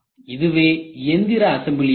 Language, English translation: Tamil, What is assembly process